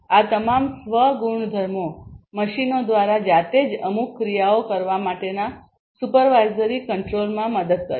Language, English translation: Gujarati, So, all of these self properties would help in the supervisory control for performing certain actions by the machines themselves